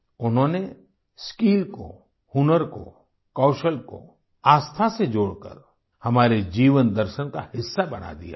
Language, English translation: Hindi, They have interlinked skill, talent, ability with faith, thereby making it a part of the philosophy of our lives